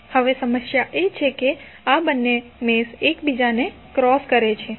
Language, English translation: Gujarati, Now, the problem is that these two meshes are crossing each other